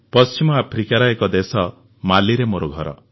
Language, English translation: Odia, I am from Mali, a country in West Africa